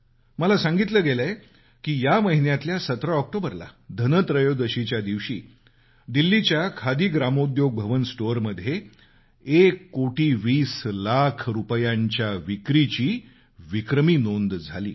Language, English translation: Marathi, You will be glad to know that on the 17th of this month on the day of Dhanteras, the Khadi Gramodyog Bhavan store in Delhi witnessed a record sale of Rupees one crore, twenty lakhs